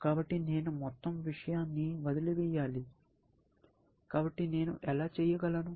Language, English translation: Telugu, So, I should abandon the whole thing; how do I do that